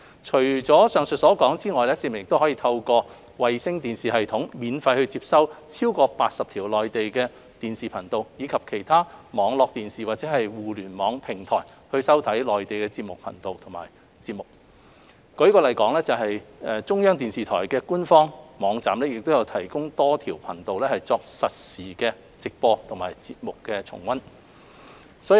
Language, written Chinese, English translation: Cantonese, 除上述之外，市民可透過衞星電視系統免費接收逾80條內地電視頻道，以及透過其他網絡電視或互聯網平台收看內地電視頻道和節目，舉例說，中央電視台官方網站亦有提供多條頻道作實時直播和節目重溫。, In addition to those mentioned above the public may receive over 80 Mainland TV channels free of charge through satellite TV systems and watch Mainland TV channels and programmes through other over - the - top TV or Internet platforms . For example the official website of CCTV also provides real - time live streaming and programme re - runs of multiple channels